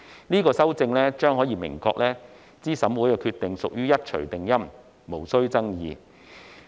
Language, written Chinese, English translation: Cantonese, 這項修正案可明確資審會的決定屬於一錘定音，無須爭議。, This amendment will make it clear that the decision of CERC is final and not subject to dispute